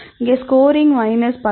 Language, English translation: Tamil, So, here the score is minus 10